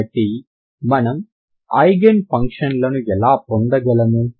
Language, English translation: Telugu, So how do you find the Eigen values and Eigen functions